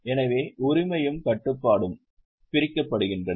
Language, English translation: Tamil, So, ownership and control is separated